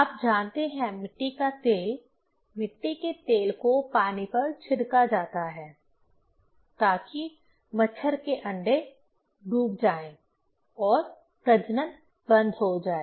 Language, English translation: Hindi, You know kerosene oil; kerosene oil is sprayed on water so that mosquitoes eggs sink and the breeding stops